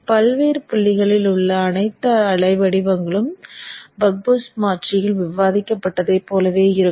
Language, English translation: Tamil, All the waveforms at various points will be similar to what has been discussed in the buck boost converter